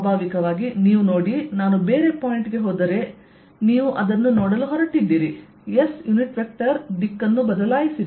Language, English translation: Kannada, naturally, you see, if i go to a different point, which is say, here, you're going to see that s unit vector has changed direction